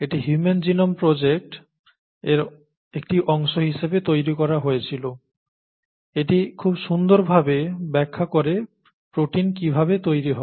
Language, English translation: Bengali, It was made as a part of the human genome project, but it very nicely explains how proteins are made, okay